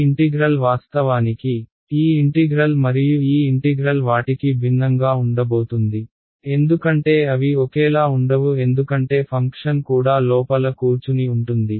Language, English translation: Telugu, This integral is of course, going to be different right this integral and this integral they are not going to be the same because even that the function sitting inside the same